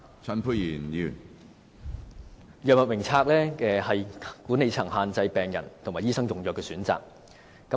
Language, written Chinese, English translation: Cantonese, 透過藥物名冊，管理層限制了病人和醫生用藥的選擇。, The management has restricted patients and doctors choice of drugs through the Drug Formulary